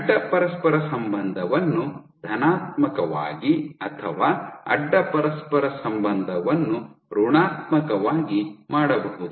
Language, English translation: Kannada, So, you can have cross correlation of positive or cross correlation as negative